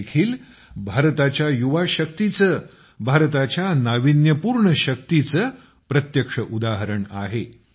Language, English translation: Marathi, This too, is a direct example of India's youth power; India's innovative power